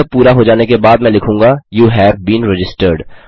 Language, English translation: Hindi, After this is done I will say, You have been registered